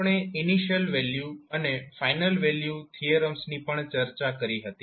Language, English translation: Gujarati, We also discussed initial value and final value theorems